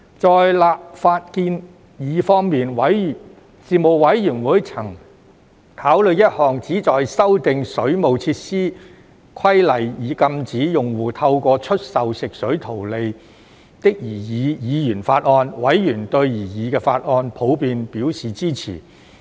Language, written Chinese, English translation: Cantonese, 在立法建議方面，事務委員會曾考慮一項旨在修訂《水務設施規例》以禁止用戶透過出售食水圖利的擬議議員法案，委員對擬議法案普遍表示支持。, With regards to legislative proposals the Panel examined a proposed Members Bill to amend the Waterworks Regulations which aimed at prohibiting a consumer from profiteering from the sale of water provided by the Water Authority from the waterworks . Members in general supported the proposed Members Bill